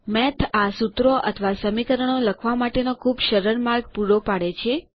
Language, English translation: Gujarati, Math provides a very easy way of writing these formulae or equations